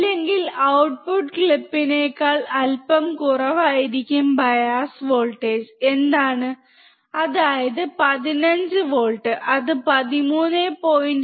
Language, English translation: Malayalam, Or it will be the output clip little bit less than what the bias voltage is, that is 15 volts it will clip somewhere around 13